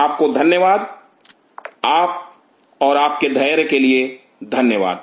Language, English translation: Hindi, Thank you, and thanks for your patience